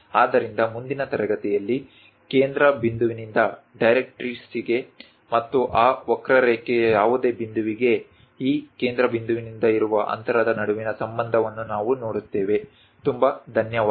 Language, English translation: Kannada, So, we will see, understand the relation between the focal point to the directrix and the distance from this focal point to any point on that curve in the next class